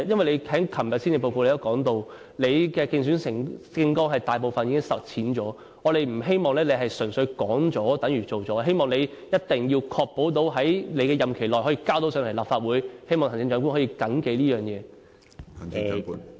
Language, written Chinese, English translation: Cantonese, 你在昨天的施政報告中提到，你競選政綱大部分的承諾已經實踐了，我們不希望你純粹是說了等於做了，希望你一定要確保在你的任期內，將有關法案提交立法會進行審議。, Yesterday when delivering the Policy Address you mentioned that most of the commitments in your Election Manifesto had been implemented . We do not want you to just talk the talk and think that words spoken are actions taken . You must ensure that a relevant bill will be introduced into the Legislative Council for scrutiny within your term of office